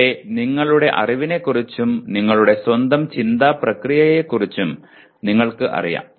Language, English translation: Malayalam, Here either you are aware of your knowledge as well as you are aware of your own thinking process